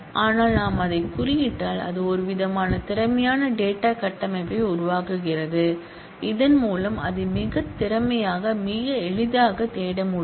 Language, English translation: Tamil, But if we index it, then it creates some kind of an efficient data structure through which it can be searched out very efficiently very easily